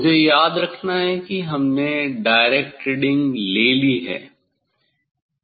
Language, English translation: Hindi, let me; remember that we have taken the direct reading